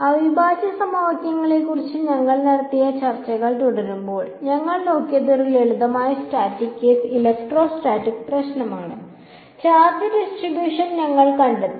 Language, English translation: Malayalam, Continuing our discussion that we have been having about integral equations, what we looked at was a simple static case electrostatics problem we found out the charge distribution